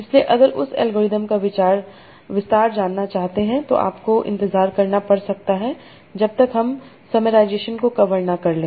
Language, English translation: Hindi, So if you want to know in that algorithm details, so you might have to wait till we cover the summarization topic